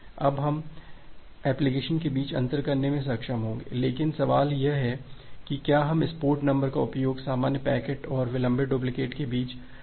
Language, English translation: Hindi, Now although we’ll be able to differentiate between the application, but the question comes that can we utilize this port number to differentiate between the normal packet and the delayed duplicate